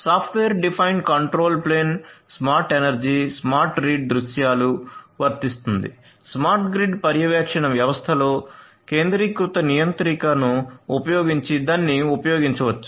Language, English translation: Telugu, So, software defined control plane is also applicable for smart energy, smart read scenarios, in smart grid monitoring systems one could be used using the centralized controller